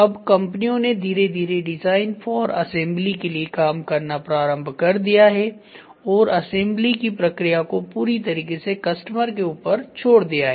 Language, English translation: Hindi, So, slowly the companies have started working on design for assembly and shifting the assembly process completely to the customer side